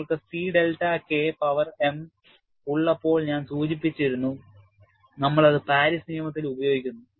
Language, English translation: Malayalam, I had also mentioned, when you have C delta K power m, we use that in Paris law